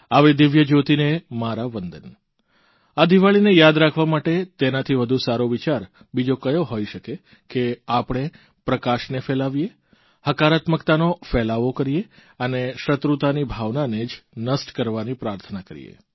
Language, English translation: Gujarati, To make this Diwali memorable, what could be a better way than an attempt to let light spread its radiance, encouraging positivity, with a prayer to quell the feeling of animosity